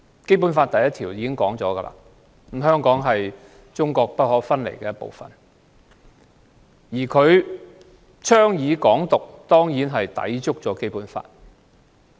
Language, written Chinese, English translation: Cantonese, 《基本法》第一條說明，香港是中國不可分離的一部分；他倡議"港獨"，當然抵觸《基本法》。, Article 1 of the Basic Law stipulates that Hong Kong is an inalienable part of China and advocating Hong Kong independence is definitely against the Basic Law